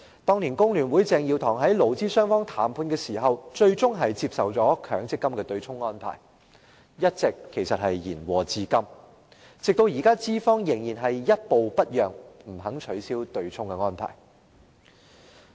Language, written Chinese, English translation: Cantonese, 當年工聯會鄭耀棠在勞資雙方談判時最終接受了強積金對沖安排，延禍至今，資方現時仍然一步不讓，不肯取消對沖安排。, In the negotiation between employers and employees back then CHENG Yiu - tong of FTU eventually accepted the MPF offsetting arrangement which still wreaks havoc today . Employers have so far made no compromise at all reluctant to abolish the offsetting arrangement